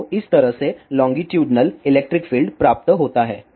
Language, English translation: Hindi, So, this is how the longitudinal electric field isderived